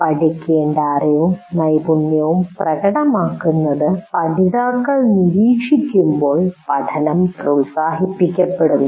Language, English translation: Malayalam, And learning is promoted when learners observe a demonstration of the knowledge and skill to be learned